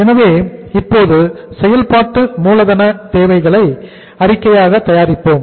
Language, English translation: Tamil, So we will prepare now the statement of working capital requirements